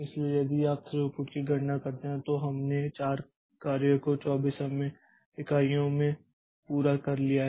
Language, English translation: Hindi, So, throughput if we compute so we have completed 4 jobs in 4 24 time units